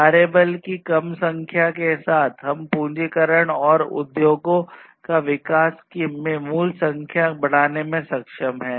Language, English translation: Hindi, So, with reduced number of workforce, we are able to increase the number of the value of capitalization and growth of the industries